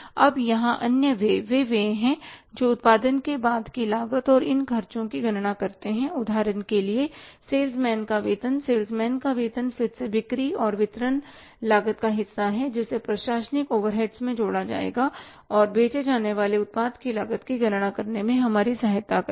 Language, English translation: Hindi, Now other expenses here are the expenses which will be after the administrative calculating the cost of production and these expenses for example salesman salaries are again the part of the selling and distribution cost which will be added into the administrative overheads and will be helping us to calculate the cost of the product to be sold